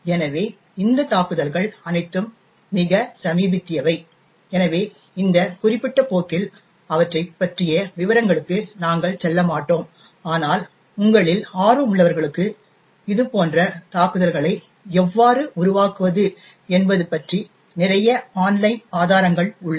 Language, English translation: Tamil, So, all of these attacks are quite recent, so we will not go into details about them in this particular course but for those of you who are interested there are a lot of online resources about how to create such attacks, thank you